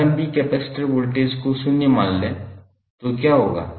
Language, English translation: Hindi, Assume initial capacitor voltage to be zero, so what will happen